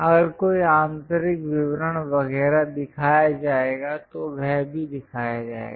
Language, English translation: Hindi, If any inner details and so on to be shown that will also be shown